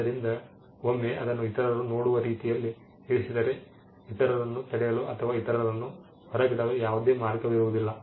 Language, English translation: Kannada, So, there is once it is put in a way in which others can see it there is no way you can stop others from or exclude others